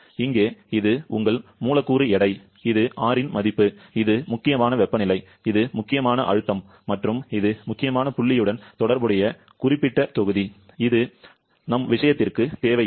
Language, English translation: Tamil, Here, this is your molecular weight, this is the value of R, this is critical temperature, this is critical pressure and this is specific volume corresponding to the critical point which is not required for our case, so for R134a you have this as critical temperature 374